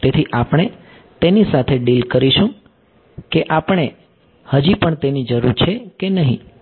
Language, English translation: Gujarati, So, we will deal with whether we still need that or not ok